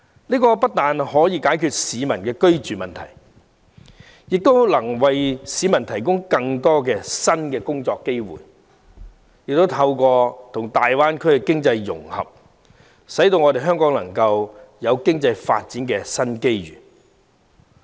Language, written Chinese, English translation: Cantonese, 這不但可以解決市民的居住問題，亦能為市民提供更多新工作機會，而透過與大灣區經濟融合，香港亦能獲得經濟發展的新機遇。, It can not only address peoples housing problems but also bring them more job opportunities . And through economic integration with the Greater Bay Area Hong Kong will also be presented with new opportunities of economic development